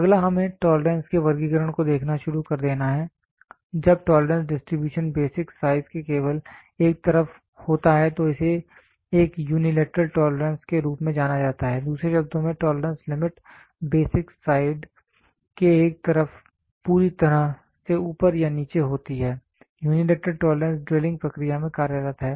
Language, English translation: Hindi, Next is let us start looking into classification of tolerance, when the tolerance distribution is only on one side of the basic size it is known as unilateral tolerance, in the other words the tolerance limit lies wholly on one side of the basic side either above or below, unilateral tolerance is employed in drilling process wherein with